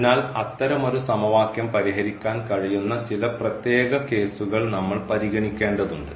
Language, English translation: Malayalam, So, we will have to consider some special cases where we can solve such a equation